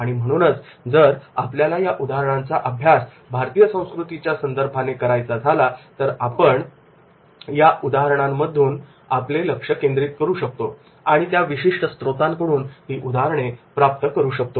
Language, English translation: Marathi, So, if we want to study the case cases in context to the Indian culture, so we can focus on those cases and can get the cases from this particular source